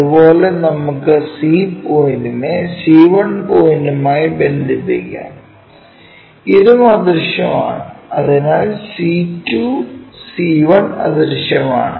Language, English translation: Malayalam, Similarly, let us connect C point to C 1 point, this one is also invisible so, C 2, C 1 invisible